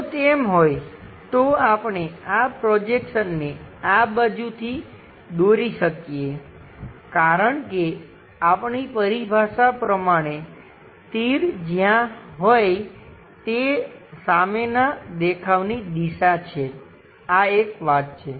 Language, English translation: Gujarati, If that is the case can, we draw these projections from this side because our terminologies wherever the arrow is there that is the direction for the front view, this is the first thing